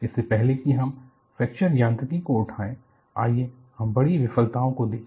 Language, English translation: Hindi, Before we really take a fracture mechanics, let us look at the spectacular failures